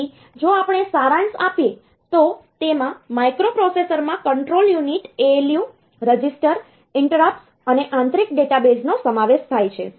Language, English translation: Gujarati, So, if we summarize; so, this microprocessor consists of control unit, ALU, registers, interrupts and internal database